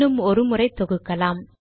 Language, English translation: Tamil, So let us compile once again